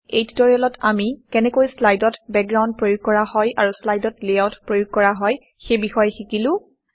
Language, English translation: Assamese, In this tutorial we learnt how to apply Backgrounds for slides, Layouts for slides Here is an assignment for you